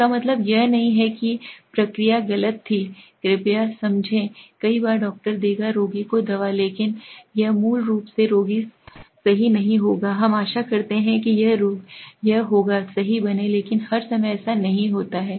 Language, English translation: Hindi, That does not mean the procedure was wrong please understand, many times the doctor will give medicine to the patient but it is not basically the patient will become correct we hope it will become correct but all the time it does not